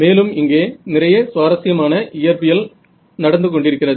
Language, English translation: Tamil, Besides, there is a lot of interesting physics happening over here